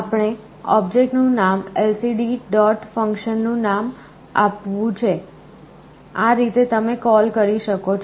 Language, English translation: Gujarati, We have to give the name of this object lcd dot name of the function this is how you call